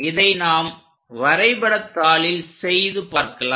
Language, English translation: Tamil, So, let us do that on the graph sheet